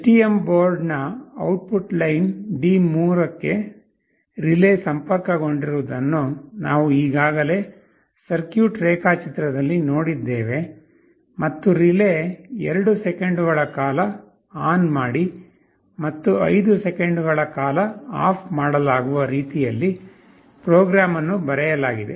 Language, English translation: Kannada, We have already seen in the circuit diagram that the relay is connected to the output line D3 of the STM board, and the program is written in such a way that the relay will be turned on for 2 seconds and turned off for 5 seconds, and this process will repeat indefinitely